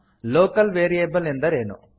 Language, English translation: Kannada, What is a Local variable